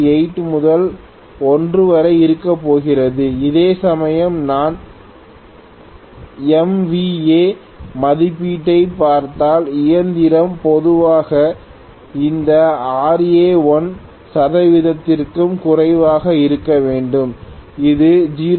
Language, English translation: Tamil, 8 to 1 whereas, if I look at MVA rating of the machine normally we will have this Ra to be less than 1 percent, it can be 0